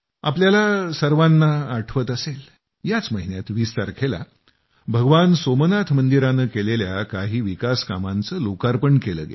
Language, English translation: Marathi, You must be aware that on the 20th of this month the construction work related to Bhagwan Somnath temple has been dedicated to the people